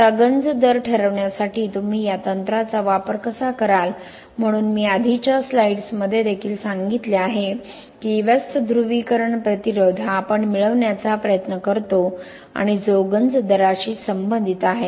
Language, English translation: Marathi, Now how do you use this technique to determining the corrosion rate, so essentially in the previous slides also I have told that inverse polarisation resistance is what we try to obtain and which is related to the corrosion rate